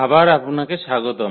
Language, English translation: Bengali, So, welcome back